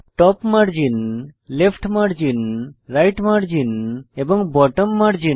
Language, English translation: Bengali, Top margin, Left margin, Right margin and Bottom margin